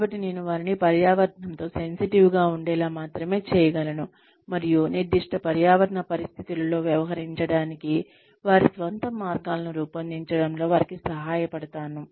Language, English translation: Telugu, So, I can only make them sensitive to the environment, and help them devise their own ways, of dealing with specific environments